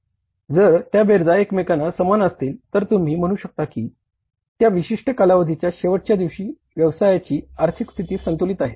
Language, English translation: Marathi, If they are equal to each other, then you can say that the financial position of the business is balanced on that last day of that particular period